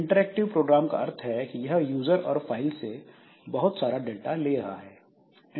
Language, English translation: Hindi, So, interactive program means so it will be taking lot of data from the user or the file etc